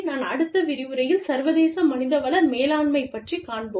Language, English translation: Tamil, We will take up, International Human Resources Management, in the next lecture